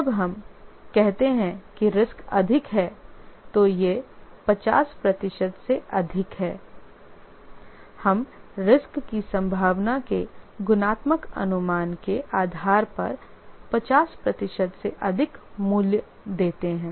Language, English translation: Hindi, We give a value, we give a value greater than 50% based on the qualitative estimation of the risk probability